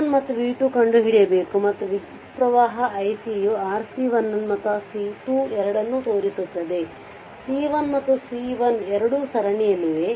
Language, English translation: Kannada, So, you have to find out v 1 and v 2 right and this current i C is showing to both to your for C 1 and C 2 both are in series so, both C 1 and C 2